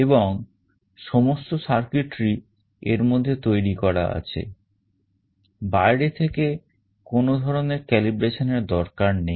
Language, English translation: Bengali, And this has all this circuitry built inside it, you do not need any kind of external calibration